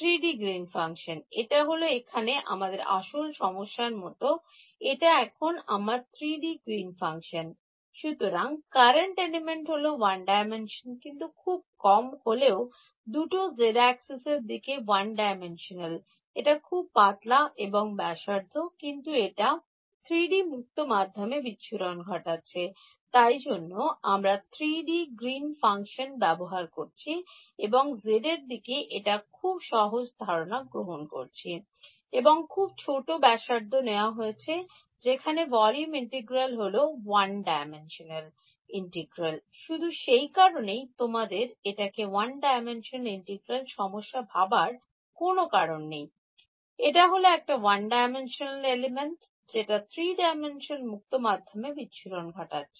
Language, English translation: Bengali, 3D Green's function like this is like our original problem over here what was this was my 3D Green's function know; so, the current element is one dimensional, but at least two yes, one dimensional only a long of finite length along the z axis its very thin and radius, but its radiating in 3D space that is why I am using the 3D Green's function and making the simplifying assumptions of z directed and very small radius that volume integral boil down to a line one dimensional integral